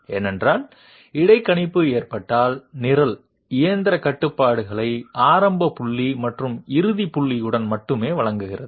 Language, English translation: Tamil, This is because in case of interpolation we are only being provided with I mean the program is only providing the machine controls with an initial point and a final point